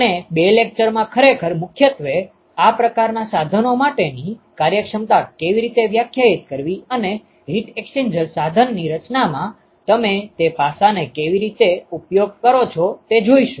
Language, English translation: Gujarati, We will actually define mostly two lectures down the line, how to define efficiency for these kinds of equipments and how do you use that aspect into designing the heat exchanger equipment